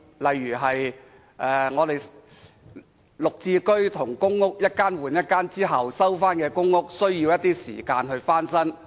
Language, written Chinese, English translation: Cantonese, 例如，綠置居和公屋一間換一間後，回收的公屋需時翻新。, For instance after a household has surrendered its PRH unit for a GSH unit the recycled PRH unit will have to undergo renovation and the process takes time